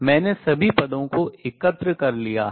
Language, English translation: Hindi, I have collected all the terms